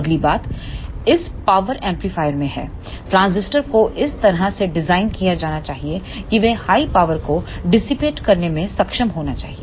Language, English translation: Hindi, The next thing is in this power amplifier the transistor should be designed in such a way that they should be capable of dissipating the high power